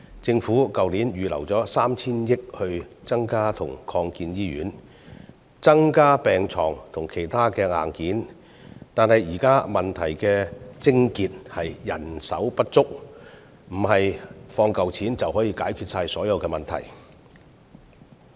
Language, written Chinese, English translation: Cantonese, 政府去年預留了 3,000 億元增建及擴建醫院，增加病床數目及其他硬件，但現在問題的癥結是人手不足，並非撥一筆錢就能解決所有問題。, Last year the Government set aside 300 billion for hospital construction and expansion projects as well as additional hospital beds and other hardware . However the crux of the prevailing problems lies in manpower shortage and allocating a sum of money just cannot solve all the problems